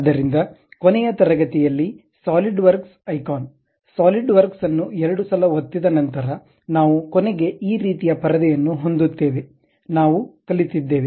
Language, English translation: Kannada, So, in the last class, we have learnt that after double clicking the Solidworks icon, we will end up with this kind of screen